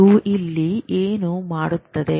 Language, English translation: Kannada, What are we trying to do